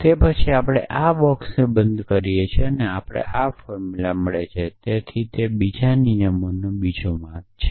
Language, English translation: Gujarati, Then, we close this box we get this formula essentially, so that is another way of another rule of inference essentially